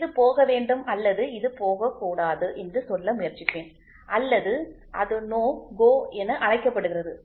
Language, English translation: Tamil, I would try to say this should go or this should not go or it is called as NO GO